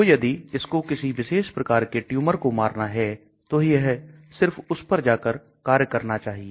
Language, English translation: Hindi, So if it has to kill a particular type of tumor, it should go and attack only that